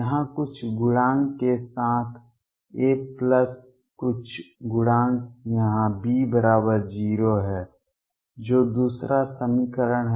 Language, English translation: Hindi, With some coefficient here A, plus some coefficients here B equals 0 that is the second equation